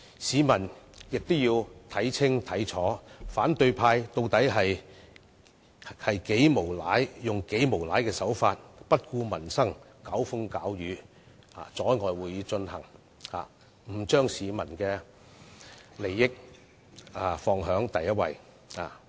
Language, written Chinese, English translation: Cantonese, 市民亦要看清楚，反對派議員竟然採取無賴的手法，不顧民生，興風作浪，阻礙會議進行，拒絕把市民的利益放在首位。, People must also see clearly how the opposition Members have even sought to create trouble and obstruct the progress of our meeting with a scoundrelly tactic while disregarding peoples livelihood and refusing to accord peoples interests the top priority